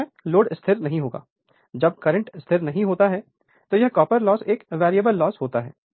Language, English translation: Hindi, All the time load is not constant; when the current is not constant therefore, this copper loss is a variable loss